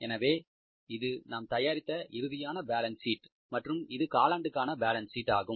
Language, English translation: Tamil, So this is now the final balance sheet which we have prepared and this is the quarterly balance sheet